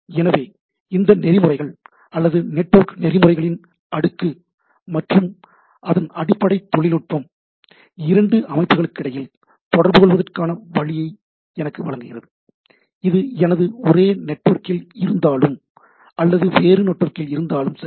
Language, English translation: Tamil, So, these protocols or the network protocol stack and having a underlying technology of the things provides me a way to communicate between two any systems whether it is in my same network or whether it is in the different network, right